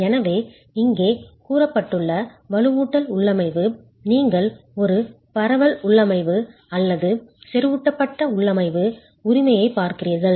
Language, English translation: Tamil, So, the reinforcement configuration as stated here, we are looking at either a spread configuration or a concentrated configuration